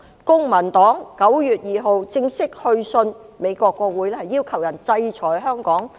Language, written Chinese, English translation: Cantonese, 公民黨在9月2日正式去信美國國會，要求他們制裁香港。, The Civic Party formally wrote to the United States Congress on 2 September asking the United States to sanction Hong Kong